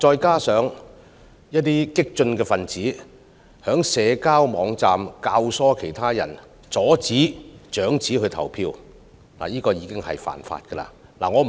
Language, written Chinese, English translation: Cantonese, 此外，有激進分子在社交網站教唆他人阻止長者投票，這其實已屬違法行為。, Besides on social media websites some radical individuals have abetted others in hindering elderly people in voting . This is already a violation of the law